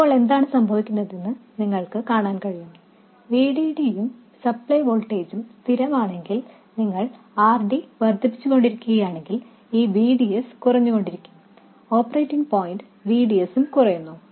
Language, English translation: Malayalam, If VDD is fixed, if the supply voltage is fixed, then if you go on increasing RD, this VDS will go on reducing, the operating point VDS will go on reducing